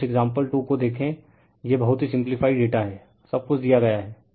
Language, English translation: Hindi, Now, you see that example 2, it is very simple data everything is given